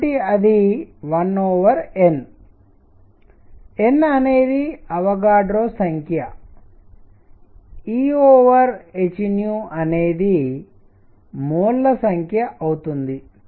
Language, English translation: Telugu, So, that one over N; N is Avogadro number E over h nu becomes number of moles